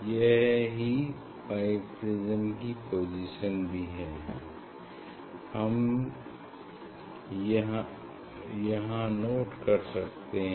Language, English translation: Hindi, This also is what is the position of this bi prism, that one can note down from here